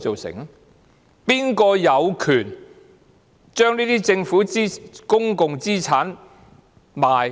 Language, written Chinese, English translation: Cantonese, 誰有權將這些政府公共資產出售？, Who has the right to sell such government and public assets?